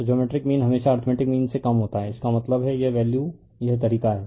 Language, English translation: Hindi, So, geometric mean is always less than arithmetic mean; that means, this value this is the way